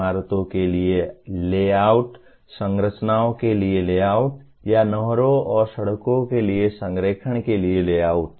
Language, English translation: Hindi, Layouts for buildings, layouts for structures or layouts for alignments for canals and roads